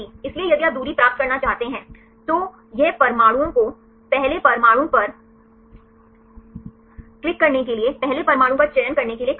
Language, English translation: Hindi, So, if you want to get the distance, it will ask the atoms select the first atom right to click on the first atom